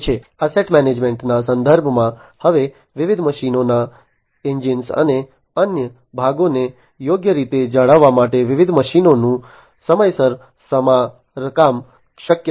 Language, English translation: Gujarati, In terms of asset management, now it is possible to timely repair the different machines to properly maintain the engines and other parts of the different machinery